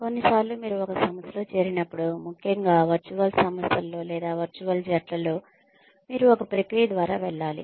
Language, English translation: Telugu, Sometimes, when you join an organization, especially in virtual organizations, or virtual teams, you are put through a process